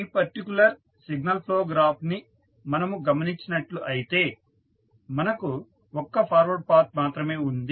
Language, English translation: Telugu, So, if you see in this particular signal flow graph you will have only one forward path there is no any other forward path available